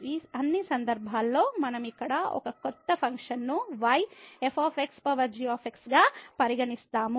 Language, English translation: Telugu, In all these cases we consider a new function here y as power this one